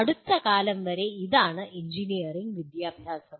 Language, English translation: Malayalam, So this is what is the engineering education until recently